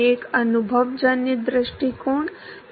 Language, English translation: Hindi, One is the empirical approach